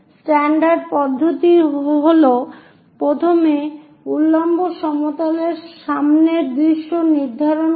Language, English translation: Bengali, The standard procedure is first decide the vertical plane front view